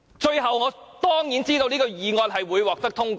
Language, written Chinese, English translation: Cantonese, 最後，我當然知道這項議案會獲得通過。, Finally I surely know that this motion will be passed